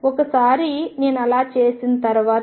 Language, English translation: Telugu, Once I do that